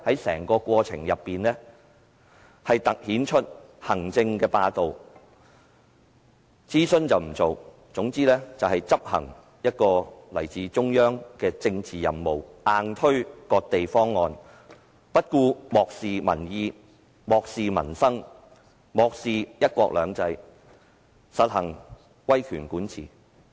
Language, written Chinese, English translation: Cantonese, 整個過程更凸顯行政霸道，政府不進行諮詢，只顧執行來自中央的政治任務，硬推"割地"方案，漠視民意，漠視民生，漠視"一國兩制"，實行威權管治。, Executive hegemony has even been demonstrated during the process as the Government refused to conduct consultation . It merely focused on accomplishing a political mission assigned by the Central Authorities forcefully put forward the cession of territory proposal having no regard to public opinion peoples livelihood and one country two systems and implemented authoritarian rule